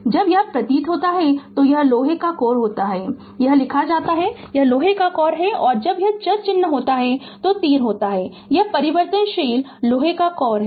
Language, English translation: Hindi, When this symbol is there it is iron core here it is written it is iron core when this variable sign is there that arrow is there this is variable iron core